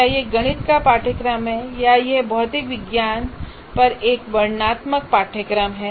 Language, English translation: Hindi, Is it a mathematics course or is it a descriptive course on material science